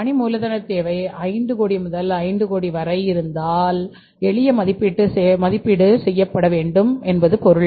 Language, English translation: Tamil, If the limit is up to 5 crores if the working capital requirement is of the 5 croix up to 5 crores then the simple assessment should be done